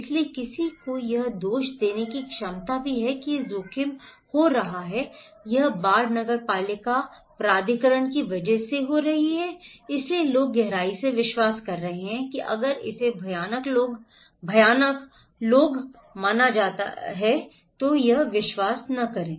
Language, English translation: Hindi, So, also the potential to blame someone that this risk is happening, this flood is happening because of the municipal authority, so people are deeply believing that if it is considered to be dread people don’t believe it